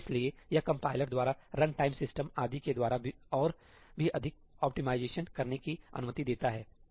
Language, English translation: Hindi, So, this allows even more optimizations to be done by the compiler, by the run time system and so on